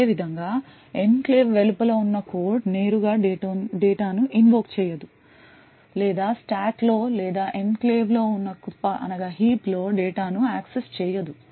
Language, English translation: Telugu, Similarly code present outside the enclave will not be able to directly invoke data or access data in the stack or in the heap present in the enclave